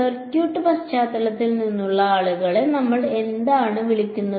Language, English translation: Malayalam, What do we call it people from circuits background